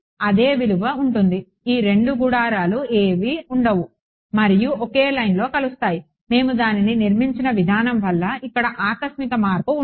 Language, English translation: Telugu, it will be the same value there will be no these 2 tents will come and meet at the same line there will be no jump over here, because of the way we have constructed it